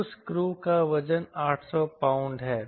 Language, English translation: Hindi, that crew weight is eight hundred pound